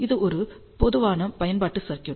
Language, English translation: Tamil, So, this is a typical application circuit